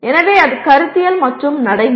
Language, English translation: Tamil, So that is conceptual and procedural